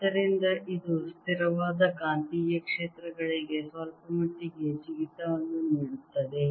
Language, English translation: Kannada, so this gave a jump to the steady of magnetic fields quite a bit